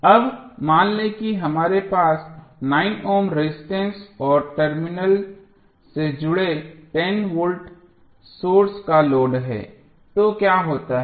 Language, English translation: Hindi, So, now suppose we have load of 9 ohm resistance and 10 ohm voltage connected across the terminal so what happens